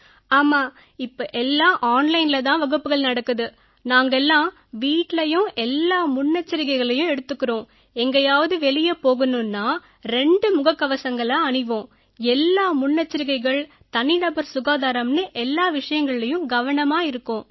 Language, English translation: Tamil, Yes, right now all our classes are going on online and right now we are taking full precautions at home… and if one has to go out, then you must wear a double mask and everything else…we are maintaining all precautions and personal hygiene